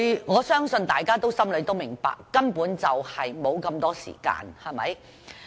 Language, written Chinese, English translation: Cantonese, 我相信大家心中明白，他們根本沒有這麼多時間。, I believe we all understand that they basically do not have so much time